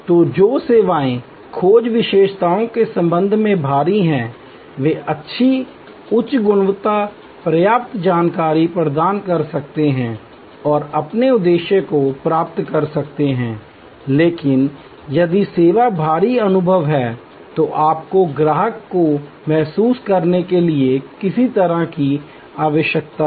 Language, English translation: Hindi, So, those services which are heavy with respect to search attributes can provide good high quality, enough information and achieve their objective, but if the service is experience heavy, then you need some way the customer to get a feel